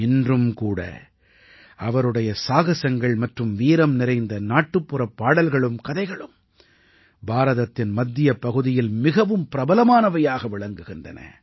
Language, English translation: Tamil, Even today folk songs and stories, full of his courage and valour are very popular in the central region of India